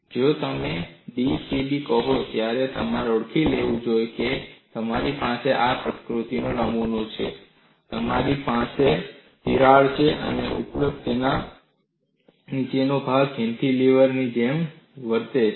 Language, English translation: Gujarati, Now, once you say d c b, you should recognize you have a specimen of this nature, you have a crack, and the top and bottom portions behave like cantilevers